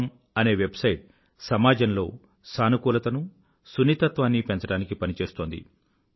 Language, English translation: Telugu, com is doing great work in spreading positivity and infusing more sensitivity into society